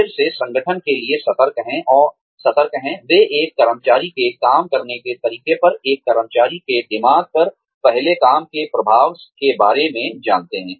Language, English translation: Hindi, Again, organizations are alert to, they are aware of the impact of the first job, on a, an employee's mind, on an employee's way of working